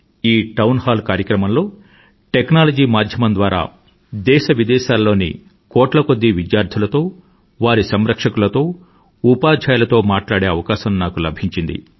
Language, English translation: Telugu, In this Town Hall programme, I had the opportunity to talk with crores of students from India and abroad, and also with their parents and teachers; a possibility through the aegis of technology